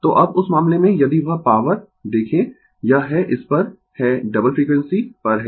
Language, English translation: Hindi, So now, in that case if you look that power, this is at this is at double frequency right